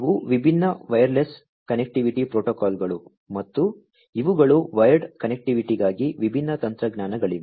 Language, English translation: Kannada, These are the different wireless connectivity protocols and these are the different, you know, technologies for wired connectivity